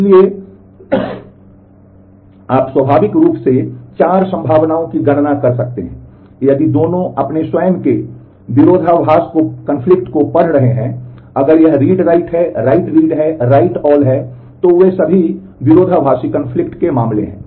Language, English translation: Hindi, So, you can naturally enumerate the 4 possibilities, if both of them are reading their own conflict